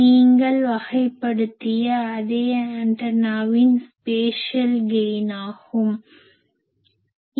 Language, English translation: Tamil, So, that the same antenna which you have characterized with it is spatial gain